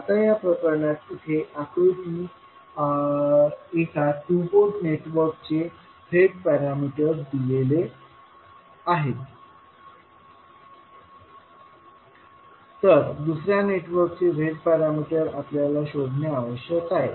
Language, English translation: Marathi, So first the task is that we know the Z parameters of the upper network, next we have to find out the Z parameters of the lower network